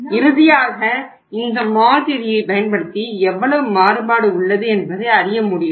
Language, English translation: Tamil, It means finally if you use this model you would say that how much variation is there